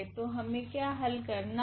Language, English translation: Hindi, So, what we need to solve